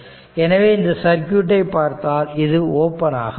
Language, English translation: Tamil, So, if you read out the circuit, this is open